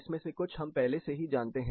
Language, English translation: Hindi, Some of this we already know